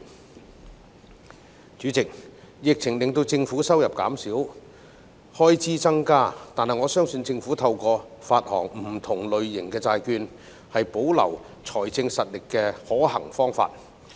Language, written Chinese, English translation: Cantonese, 代理主席，疫情令政府收入減少，開支增加，但我相信政府發行不同類型的債券，是保留財政實力的可行方法。, Deputy President government revenues have decreased and expenditures have increased during the epidemic but I believe the issuance of different types of bonds is a viable way for the Government to retain financial strength